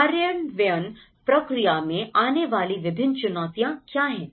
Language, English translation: Hindi, So, what are the various challenges that is faced in the implementation process